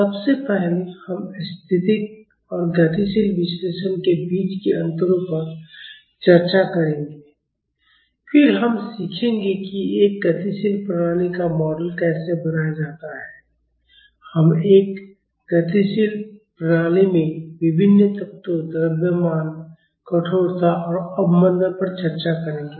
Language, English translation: Hindi, First we will discuss the differences between static and dynamic analysis, then we will learn how to model a dynamic system, we will discuss various elements in a dynamic system, mass, stiffness and damping